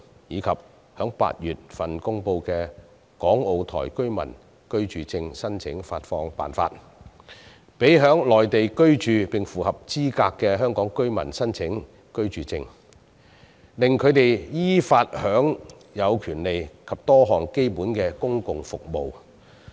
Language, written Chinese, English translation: Cantonese, 此外，在8月公布的"港澳台居民居住證申領發放辦法"，讓在內地居住並符合資格的香港居民可申請居住證，藉以依法享有各種權利及多項基本公共服務。, Besides under the Regulations for Application of Residence Permit for Hong Kong Macao and Taiwan Residents introduced in August eligible Hong Kong residents living on the Mainland may apply for a Residence Permit to enjoy various rights and some basic public services in accordance with law